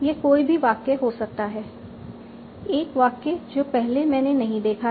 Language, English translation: Hindi, This is a new sentence I might not have seen it before